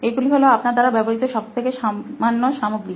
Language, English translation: Bengali, So these are like the most common materials that you use